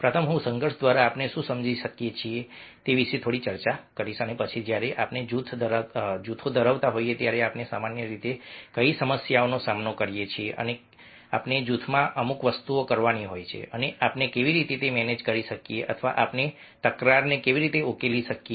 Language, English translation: Gujarati, ah, first i will discuss little bit about what do we understand by conflicts and then what are the problems generally we face when we are having groups and we have to perform certain things in a group, and how we can manage or we can resolve conflicts